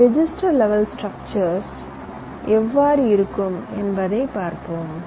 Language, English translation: Tamil, let see how this register level to structures look like